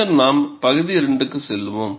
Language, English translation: Tamil, Then we will move on to region 2